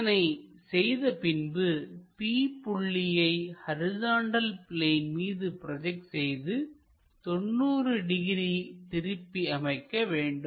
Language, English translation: Tamil, Once, it is done what we have to do project point p onto vertical plane, rotate it by 90 degrees